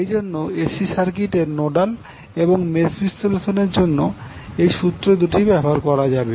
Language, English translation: Bengali, Also, the Nodal and mesh analysis can be used in case of AC circuits